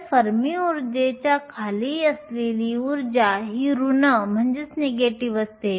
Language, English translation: Marathi, So, energy below the Fermi energy this term is negative